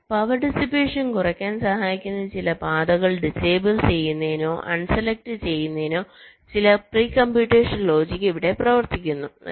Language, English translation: Malayalam, some pre computation logic to disable or un select some of the paths which can help in reducing power dissipation